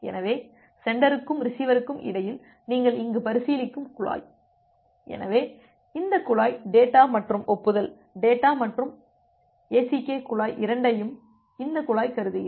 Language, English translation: Tamil, So, the pipe that you are considering here between the sender and the receiver; so here this pipe assume that this pipe considers both the data and the acknowledgement, data plus ACK pipe